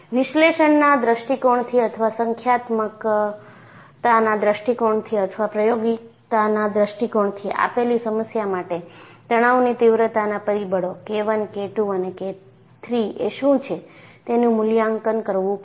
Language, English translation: Gujarati, From an analytical point of view or numerical point of view or experimental point of view, I will have to evaluate, for a given problem, what are the stress intensity factors K 1, K 2 and K 3